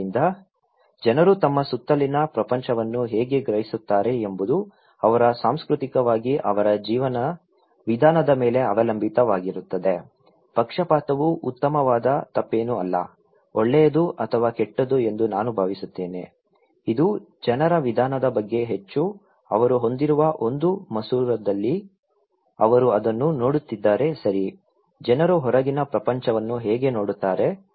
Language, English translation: Kannada, So, how people perceive act upon the world around them depends on their way of life culturally, biased means nothing better wrong, I think good or bad, itís more about the way people, in one the lens they have, they are looking into it okay, the way people look into the outside world